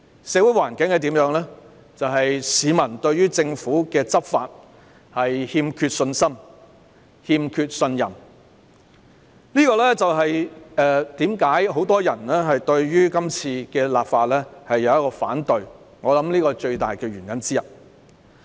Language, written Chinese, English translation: Cantonese, 社會環境令市民對政府的執法欠缺信心和信任，我想這就是很多人反對今次立法的最大原因之一。, In light of the social environment members of the public lack confidence and trust in the Governments law enforcement . I think this is one of the main reasons why many people oppose this legislative exercise